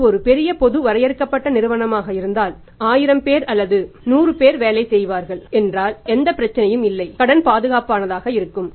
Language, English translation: Tamil, If it is a large public limited company 1000’s of people are working on 100’s of people are working there is no problem here credit is secured